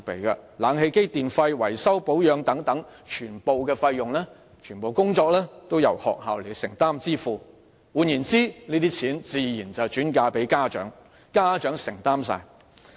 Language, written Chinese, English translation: Cantonese, 空調設備、電費和維修保養等全部費用和工作均由學校承擔和支付，這些開支自然會轉嫁家長，變相由他們獨力承擔。, All the costs for say air - conditioning facilities electricity tariffs repairs and maintenance as well as the works are borne or payable by the school . These expenses will naturally be passed onto the parents who are indirectly made to bear the costs all by themselves